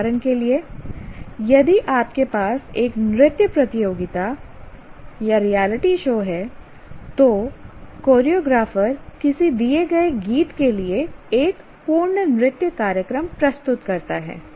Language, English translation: Hindi, Like if you have a dance competition reality show, the choreographer actually puts a complete dance programming for a given song